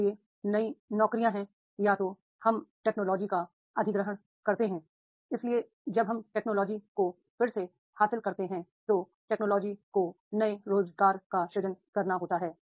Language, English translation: Hindi, Either we acquire technology, so in the when we acquire technology again to learn the technology the new jobs are to be created